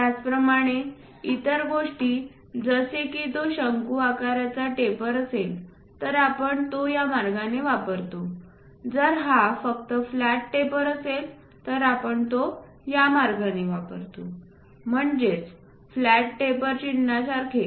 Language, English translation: Marathi, Similarly, other things like if it is conical taper, we use it in that way if it is just a flat taper we use it in this way, something like flat taper symbol is this